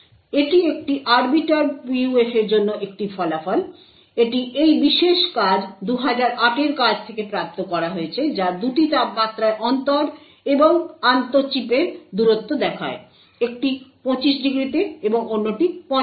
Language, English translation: Bengali, So, this is a result for an Arbiter PUF, it is obtained from this particular paper 2008 paper which shows both the inter and the intra chip distances at two temperatures; one is at 25 degrees and the other one is at 85 degrees ok